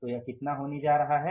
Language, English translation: Hindi, So, this is going to be how much